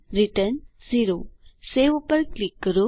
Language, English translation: Gujarati, Return 0 Click on Save